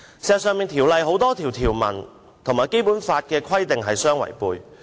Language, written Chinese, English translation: Cantonese, 事實上，《條例草案》多項條文與《基本法》規定相違背。, In fact many provisions of the Bill have contravened the Basic Law